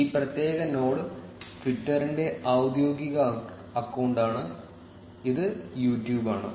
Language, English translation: Malayalam, This particular node is the official account of twitter; and this one is YouTube